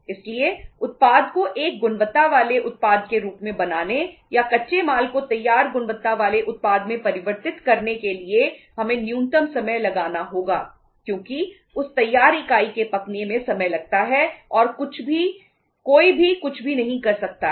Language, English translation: Hindi, So for making the product as a quality product or converting the raw material into finished quality product we have to spend minimum time because ripening of that say finished unit takes time and nobody can do anything